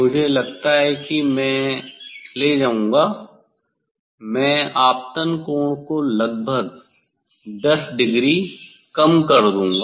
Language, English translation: Hindi, I think I will take I will decrease the incident angle by say 10 degree approximately